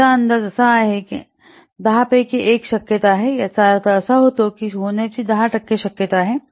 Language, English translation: Marathi, It estimates that there is a one in 10 chances, I mean what 10% chances of happening this